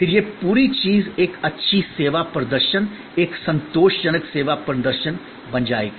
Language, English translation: Hindi, Then, this whole thing will become a good service performance, a satisfactory service performance